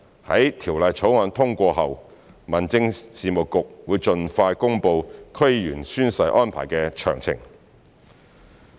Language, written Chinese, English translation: Cantonese, 在《條例草案》通過後，民政事務局會盡快公布區議員宣誓安排的詳情。, After the passage of the Bill the Home Affairs Bureau will announce the details of the arrangements for oath - taking by DC Members as soon as possible